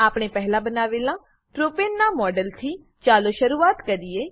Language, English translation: Gujarati, Lets begin with the model of Propane, which we had created earlier